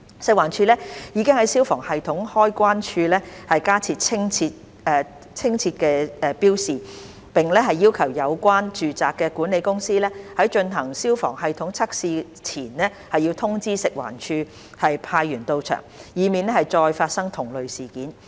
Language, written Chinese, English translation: Cantonese, 食環署已在消防系統開關處加設清晰標示，並要求有關住宅的管理公司在進行消防系統測試前通知食環署派員到場，以免再次發生同類事件。, FEHD has added clear labelling at the switch of the Markets fire services system and requested the relevant management company of the residential premises to inform FEHD such that FEHD may send staff to the site when testing of their fire services system is carried out . These will help prevent similar occurrence in the future